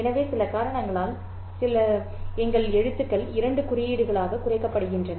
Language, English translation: Tamil, So, let's say for some reason, some magical reason, our alphabet is reduced to two symbols